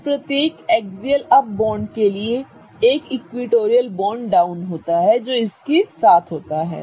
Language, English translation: Hindi, So, for every axial up bond, there is an equatorial down bond that is accompanying it